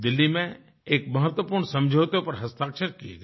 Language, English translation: Hindi, A significant agreement was signed in Delhi